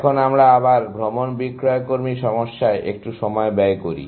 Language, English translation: Bengali, Now, let us spend a little bit of time on the travelling salesman problem, again